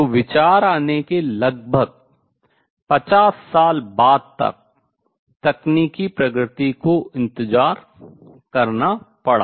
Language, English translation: Hindi, So, technological advancement had to wait about 50 years after the idea came